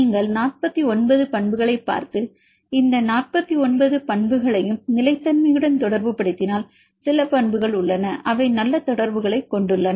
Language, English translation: Tamil, If you look the 49 properties and relate this 49 properties with the stability some properties, which have good correlation